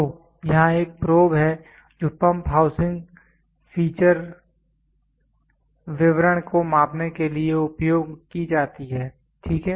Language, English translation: Hindi, So, here is a probe which is used for measuring the pump housing feature details, ok